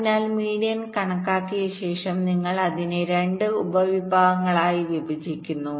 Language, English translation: Malayalam, the idea is as follows: so after calculating the median, you divide it up into two subsets